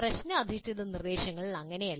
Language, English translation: Malayalam, That is not so in problem based instruction